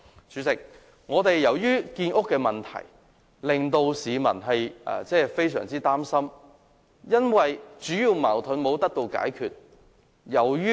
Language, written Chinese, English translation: Cantonese, 主席，建屋的問題已令市民非常擔心，而主要的矛盾亦未獲解決。, President housing construction has been a cause for serious public concern and the major conflicts have remained unsettled